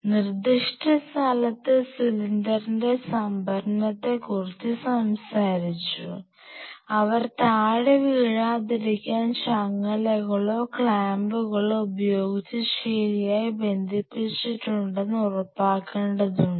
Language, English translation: Malayalam, Then we talked about storage of the cylinder at specific location where the cylinders have to be ensured that those cylinders are properly hooked with chains or clamps